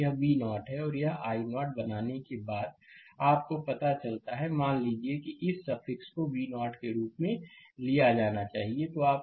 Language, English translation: Hindi, It is V 0 and here it is after making this i 0 you find out; suppose, this suffix should be taken as V 0 right